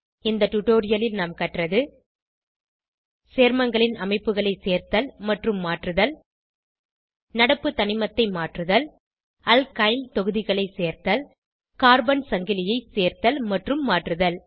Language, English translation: Tamil, In this tutorial we have learnt to, * Add and modify structure of compounds * Change current element * Add Alkyl groups * Add and modify carbon chain As an assignment, Draw Octane structure